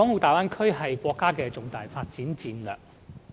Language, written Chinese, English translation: Cantonese, 大灣區是國家的重大發展戰略。, The Bay Area project is a key component of our national development strategy